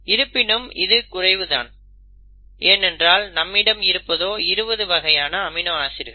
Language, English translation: Tamil, But that is still falling short because you have about 20 amino acids